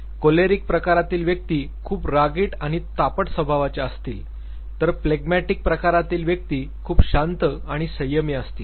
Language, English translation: Marathi, People who are choleric type would be hot tempered and people who are phlegmatic type would be calm and slow